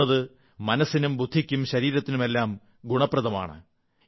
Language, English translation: Malayalam, Running is beneficial for the mind, body and soul